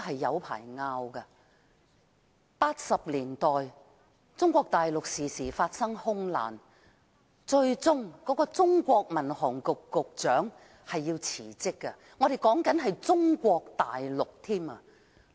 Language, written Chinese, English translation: Cantonese, 1980年代，中國大陸常常發生空難，最終中國民航局局長辭職，說的是中國大陸。, In the 1980s aviation accidents frequently happened in Mainland China and the Director of the Civil Aviation Administration of China eventually resigned . This happened in Mainland China